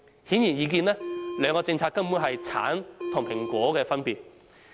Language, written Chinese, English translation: Cantonese, 顯而易見，兩項政策根本是橙和蘋果的分別。, Obviously the difference of the two policies is comparable to the difference between apples and oranges